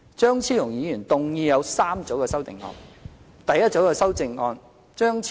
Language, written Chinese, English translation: Cantonese, 張超雄議員提出共3組修正案。, Dr Fernando CHEUNG has proposed three groups of amendments